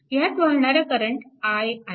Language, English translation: Marathi, Here and current i 1 is 0